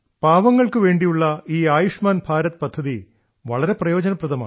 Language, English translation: Malayalam, See this Ayushman Bharat scheme for the poor in itself…